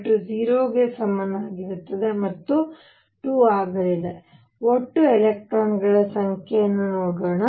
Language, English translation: Kannada, l equals 0 again is going to be 2, let us see the total number of electrons